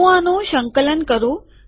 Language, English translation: Gujarati, Let me compile this